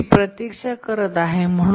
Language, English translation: Marathi, It has to keep on waiting